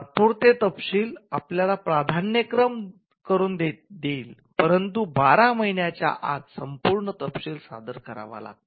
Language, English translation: Marathi, So, the provisional specification will get you the priority, but provided you follow it up by filing a complete specification within 12 months